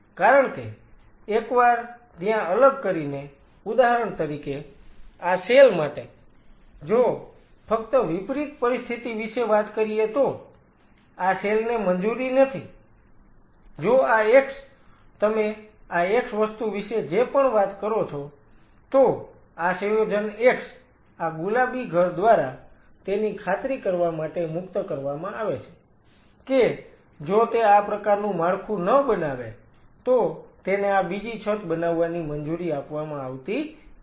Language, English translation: Gujarati, Because once there in isolation say for example, these cells just talk about a reverse situation, these cells are not allowed if this x whatever you talking about this x thing, this x compound is secreted by this pink house to ensure that if this does not form this kind of a structure, is not allowed to from this second roof